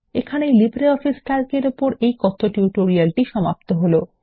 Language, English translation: Bengali, This brings us to the end of this Spoken Tutorial on LibreOffice Calc